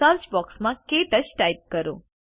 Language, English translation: Gujarati, In the Search box type KTouch